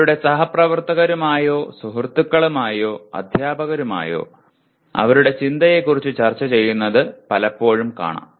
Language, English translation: Malayalam, They often can be seen discussing with their colleagues, their friends or with the teacher about their thinking